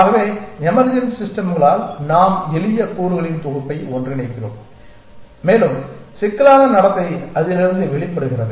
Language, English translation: Tamil, So, by emergent systems we mean that we put together a collection of simple elements and more complex behavior emerges out of that